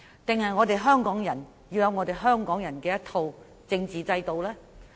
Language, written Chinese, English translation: Cantonese, 還是香港人要有自己的一套政治制度呢？, Or should Hong Kong people develop a constitutional system of their own?